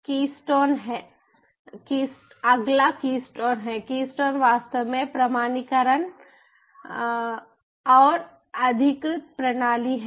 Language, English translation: Hindi, key stone is actually the authentication and authorizon system